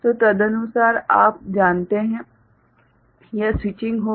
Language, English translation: Hindi, So, accordingly you know this switching will take place right